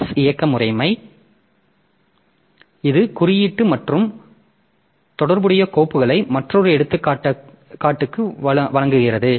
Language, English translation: Tamil, So, VMS operating system it provides index and relative files as another example